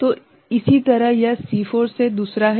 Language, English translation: Hindi, So, similarly it is second from C4 ok